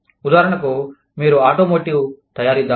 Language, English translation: Telugu, For example, you are an automotive manufacturer